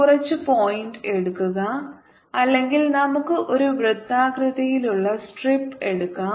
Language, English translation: Malayalam, take some point, or let's take a strip